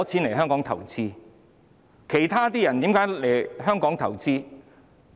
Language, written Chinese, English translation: Cantonese, 為何其他人願意來香港投資？, Why are other people willing to come to invest in Hong Kong?